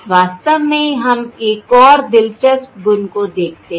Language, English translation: Hindi, In fact, let us look at another interesting property